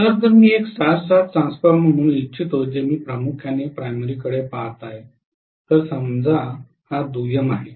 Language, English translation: Marathi, So if I am having let us say a star star transformer I am looking at mainly the primary, let us say secondary is open